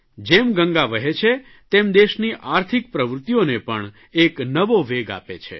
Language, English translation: Gujarati, The flow of Ganga adds momentum to the economic pace of the country